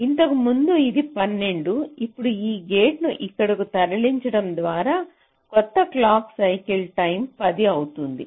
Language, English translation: Telugu, so what we have worked out, so earlier it was twelve, now, by moving this gate out here, now the new clock circle time becomes ten